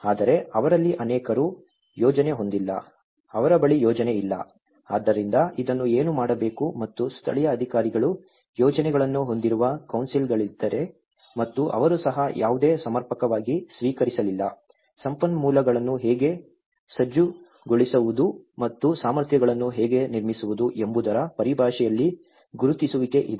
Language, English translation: Kannada, But many of them they are not having plan, they don’t have plan, so what to do with this and even, if there are the council's which are having the local authorities which are having plan and they also they did not receive any adequate recognition in terms of how to mobilize the resources and how to build the capacities